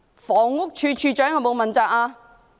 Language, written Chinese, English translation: Cantonese, 房屋署署長有否問責？, Has the Director of Housing been held accountable?